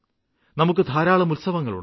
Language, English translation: Malayalam, There are lots of festivals in these months